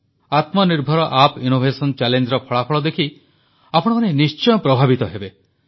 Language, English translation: Odia, You will definitely be impressed on seeing the results of the Aatma Nirbhar Bharat App innovation challenge